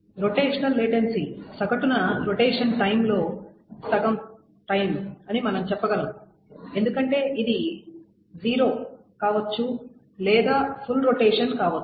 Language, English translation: Telugu, The rotational latency is well we can say it's half the time to rotate on average because it can be either zero or it can be a complete rotation